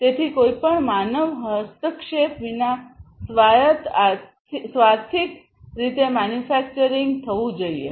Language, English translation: Gujarati, So, autonomic autonomously the manufacturing is going to be done, without any human intervention